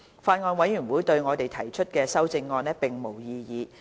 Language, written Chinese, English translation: Cantonese, 法案委員會對我們提出的修正案並無異議。, The Bills Committee does not object to our proposed amendments